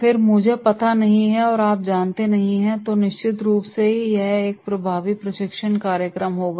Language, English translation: Hindi, Then there will be “I do not know and you know” then definitely it will be an effective training program